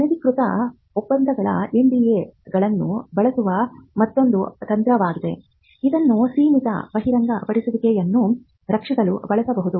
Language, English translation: Kannada, Another strategy is to use nondisclosure agreements NDAs, which can be used to protect limited disclosures